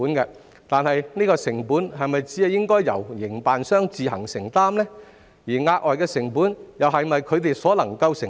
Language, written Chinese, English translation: Cantonese, 然而，有關的成本是否應該只由營辦商自行承擔，而額外成本又是否它們所能承擔？, But should the relevant costs be solely borne by the operators? . Can they afford the additional costs?